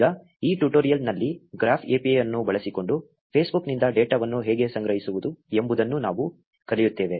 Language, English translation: Kannada, Now in this tutorial, we will learn how to collect data from Facebook using the graph API